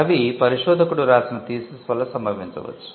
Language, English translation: Telugu, They may result from a thesis of a research scholar